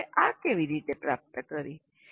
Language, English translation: Gujarati, And the institutions, how did they achieve this